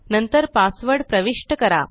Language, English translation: Marathi, Now type the correct password